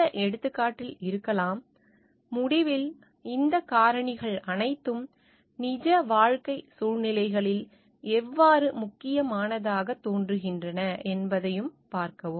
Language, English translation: Tamil, And the case may be if possible; at the end to see like, how all these factors are appearing to be important in real life situations